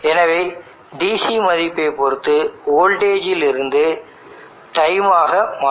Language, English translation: Tamil, So depending upon the DC value there needs to be a voltage to conversion